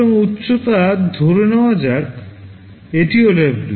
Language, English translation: Bengali, So, height let us assume this is also W